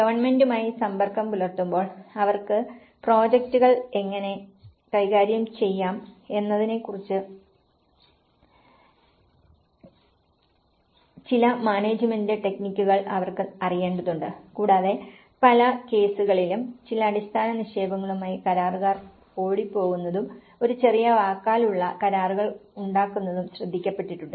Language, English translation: Malayalam, I mean in contact with the government also, they need to know some the managerial techniques of how they can manage the projects themselves and in many cases, it has been noted that contractors run away with some basic deposits and maybe having a small verbal agreements with the owners and they run away so, in that way the whole project leave left incomplete